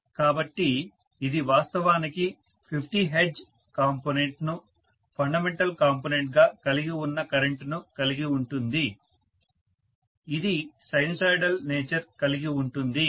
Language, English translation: Telugu, So this will actually have the current having the fundamental component that is the 50 hertz component, which is sinusoidal in nature